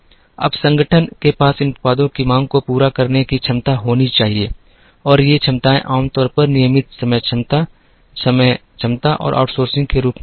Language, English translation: Hindi, Now, the organization should have the capacity to meet the demand of these products and these capacities are usually in the form of regular time capacity, over time capacity and outsourcing